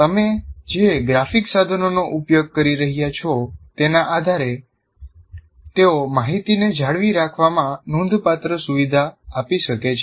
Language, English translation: Gujarati, So, depending on the kind of graphic tools that you are using, they can greatly facilitate retention of information